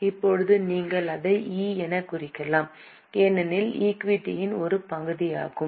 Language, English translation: Tamil, Right now you can mark it as E because it's a part of equity